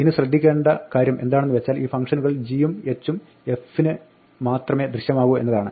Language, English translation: Malayalam, Now, the point to note in this is that these functions g and h are only visible to f